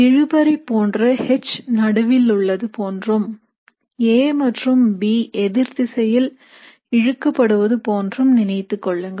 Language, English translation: Tamil, Like a tug of war you can imagine H being in the middle and A and B both pulling on the opposite sides